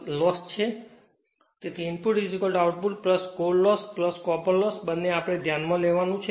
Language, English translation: Gujarati, So, input is equal to output plus core loss plus copper loss both we have to consider